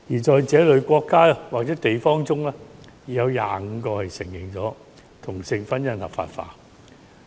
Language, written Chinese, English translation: Cantonese, 在這類國家或地方之中，已有25個國家承認同性婚姻合化法。, Of these countries or places 25 have already legalized same - sex marriage